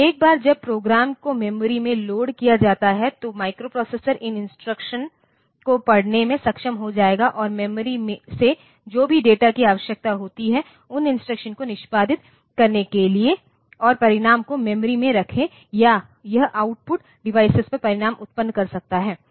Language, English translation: Hindi, So, once the program has been loaded into the memory then the microprocessor will be able to read these instructions and whatever data is needed from the memory execute those instructions and place the results in memory or it can produce the result on an output device